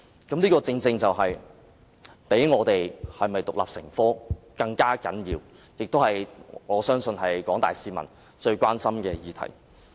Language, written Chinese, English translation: Cantonese, 這正正比是否獨立成科更為重要，我相信這也是廣大市民最關心的議題。, These issues are precisely more important than making Chinese History an independent subject . I believe they are of utmost concern to the general public